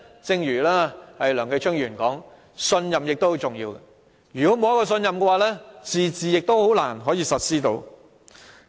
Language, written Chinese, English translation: Cantonese, 正如梁繼昌議員所說，信任也很重要，如果沒有信任，"自治"亦難以實施。, As Mr Kenneth LEUNG said trust is also important; without trust autonomy can hardly be implemented